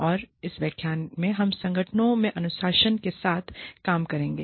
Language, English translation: Hindi, And, in this lecture, we will be dealing with, Discipline in Organizations